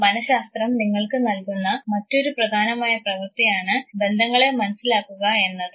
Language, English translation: Malayalam, Another important task that psychology provides you is to understand relationships